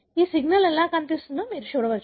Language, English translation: Telugu, You can see how this signal is seen